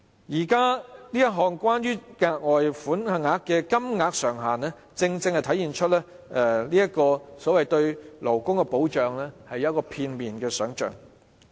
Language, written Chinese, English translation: Cantonese, 現時有關額外款項的上限，正正體現出政府對勞工的保障只是片面想象。, The present ceiling of the further sum precisely reflects that the Government has taken a one - sided approach to the labour protection issue